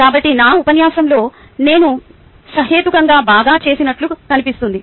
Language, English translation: Telugu, so looks like i did reasonably well in my lecture